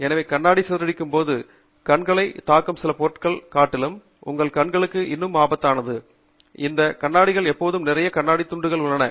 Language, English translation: Tamil, So, if the glass shatters, actually, it is even more dangerous for your eye, than simply some object hitting your eye, because that glass now has lot of glass pieces which can enter your eye